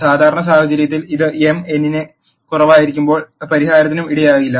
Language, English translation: Malayalam, In the usual case this will lead to no solution when m is less than n